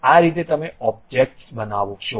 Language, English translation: Gujarati, This is the way you construct the objects